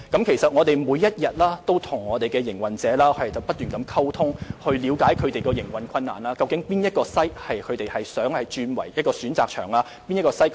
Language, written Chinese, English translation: Cantonese, 其實，我們每天都與營運者溝通，了解他們的營運困難，或想將哪些場地轉為可選擇場地。, In fact we liaise with food truck operators every day to understand their operational problems and the locations which they wish to be turned into optional venues